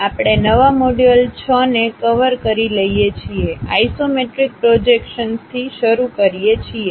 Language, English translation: Gujarati, We are covering a new module 6, begin with Isometric Projections